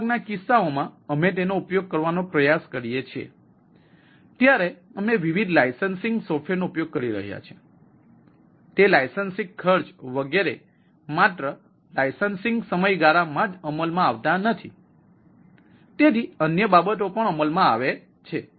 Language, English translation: Gujarati, right, because most of the cases when we try to use these, we may be using different license software and those licensing cost etcetera come into play, not only that licensing period and so and other things come into